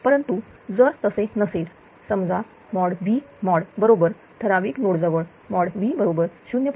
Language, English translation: Marathi, But if it is not, suppose mod V is equal to at particular node 0